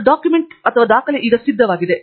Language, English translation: Kannada, And the document is now ready to be wound up